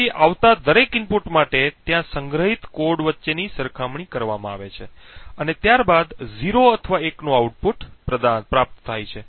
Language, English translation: Gujarati, So, for each input that comes there is a comparison done between the cheat code stored and a output of 0 or 1 is then obtained